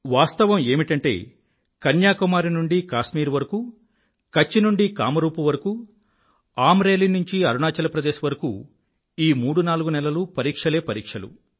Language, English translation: Telugu, Actually from Kashmir to Kanyakumari and from Kutch to Kamrup and from Amreli to Arunachal Pradesh, these 34 months have examinations galore